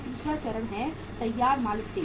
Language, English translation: Hindi, Third stage is the finished goods stage